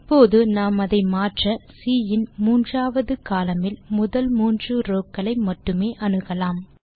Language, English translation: Tamil, Now, let us modify this to access only the first three rows, of column three of C